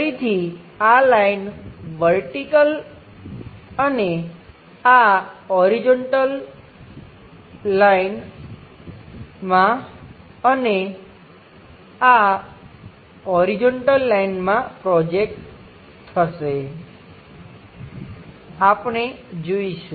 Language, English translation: Gujarati, Again this line will be projected onto vertical one, and this horizontal line and this horizontal line, we will see